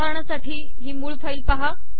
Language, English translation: Marathi, For example, look at the source file